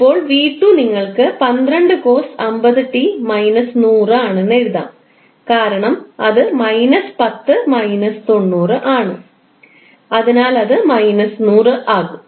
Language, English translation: Malayalam, Now, V2 you can simply write 12 cost 50 t minus 100 because that is minus 10 minus 90